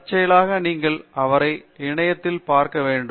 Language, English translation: Tamil, And incidentally you should also look him up on the internet